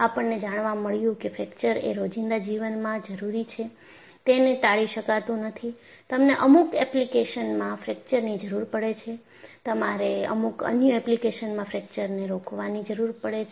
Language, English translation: Gujarati, We found fracture is needed in day to day living; it cannot be avoided; you need fracture in certain applications; you need to prevent fracture in certain other applications